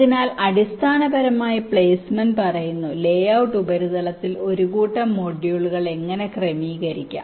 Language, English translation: Malayalam, so essentially, placement says how to arrange set of modules on the layout surface